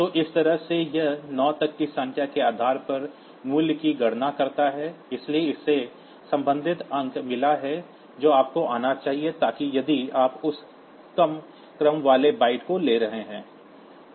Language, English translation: Hindi, So, this way it computes the value depending upon the number so up to 9, so it has got the corresponding digit that should come so if you are taking that lower ordered byte